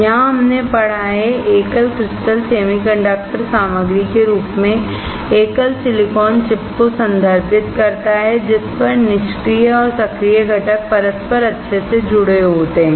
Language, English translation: Hindi, Here we have read, the single crystal refers to a single silicon chip as the semiconductor material on which passive and active components are interconnected nice